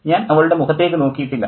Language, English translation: Malayalam, I have never seen her face